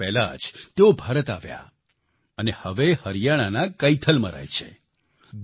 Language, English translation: Gujarati, Two years ago, he came to India and now lives in Kaithal, Haryana